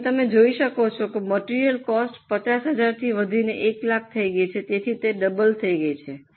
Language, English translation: Gujarati, As you can see, the cost of material has increased from 50,000 to 1 lakh